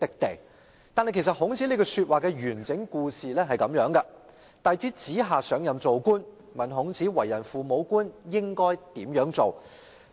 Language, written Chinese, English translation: Cantonese, 不過，孔子這句話的來龍去脈是這樣的，孔子弟子子夏上任當官，問孔子為人父母官應如何治理政事。, Actually the circumstances of this comment made by Confucius were like this His disciple Zi Xia was about to take office as an official so he asked Confucius how a kind and parent - like official should go about governing